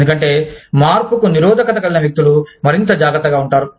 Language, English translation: Telugu, Because, people, who are resistant to change, will be more cautious